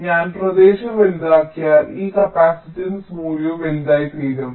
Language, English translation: Malayalam, so if i make the area larger, this capacitance value will also become larger, so this delay will also increase